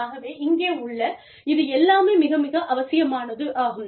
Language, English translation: Tamil, So, all of this is, very, very, essential here